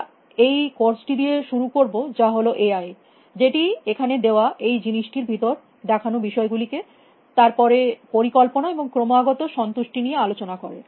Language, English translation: Bengali, We will start with this course which is Ai which kind of covers some of this stuff inside this thing here, then planning and constraint satisfaction